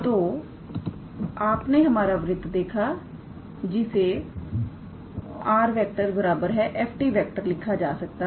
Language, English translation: Hindi, So, you see our circle can also be written as r is equals to f t